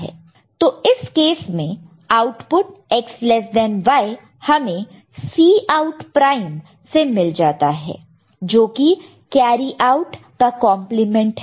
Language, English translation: Hindi, So, in that case we can the corresponding outputs X less than Y we can directly you know get from Cout prime, complement of carry out, ok